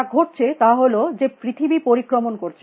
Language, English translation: Bengali, What is happening is at the earth is rotating